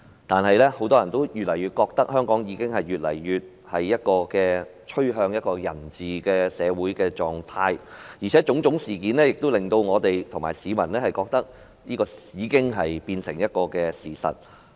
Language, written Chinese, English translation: Cantonese, 但是，很多人越來越覺得，香港越來越趨向人治的社會狀態，而且種種事件亦令我們和市民認為這已變成事實。, Nevertheless more and more people feel that Hong Kong has become a society of the rule of man . A number of incidents have prompted us and the public in Hong Kong to believe that this has already become the reality